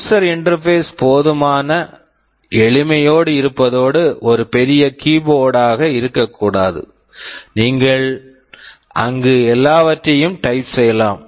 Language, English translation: Tamil, And user interface has to be simple enough, it should not be a full big large keyboard where you can type anything and everything